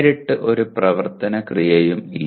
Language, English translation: Malayalam, Straightaway there is no action verb